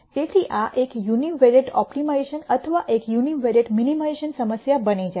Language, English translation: Gujarati, So, this becomes a univariate optimization or a univariate minimization problem